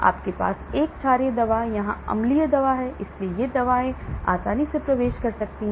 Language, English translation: Hindi, you have a basic drug here acidic drug, so these drugs can penetrate easily